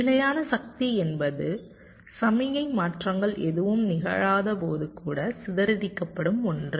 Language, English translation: Tamil, static power is something which is dissipated even when no signal transitions are occurring